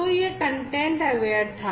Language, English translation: Hindi, So, that was content aware